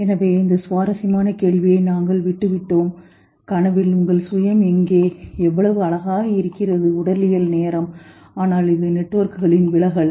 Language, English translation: Tamil, So, we left at this interesting question that where is your self in the dream and what beautiful physiological timing but there is the dissociation of networks probably